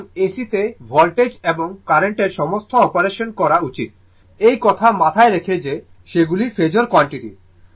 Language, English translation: Bengali, So, in AC, right work all operation of voltage and current should be done keeping in mind that those are phasor quantities